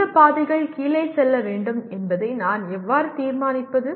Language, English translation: Tamil, How do I decide which paths to go down